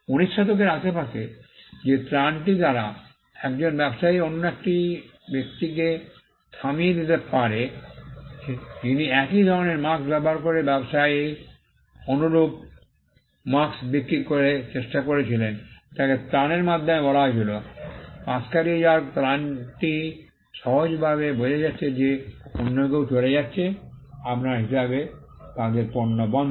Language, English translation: Bengali, Around the 19th century the relief by which a trader could stop another person, who was trying to sell similar goods using a similar mark like that of the trader was through a relief called, the relief of passing off passing off simply means somebody else is passing off their product as yours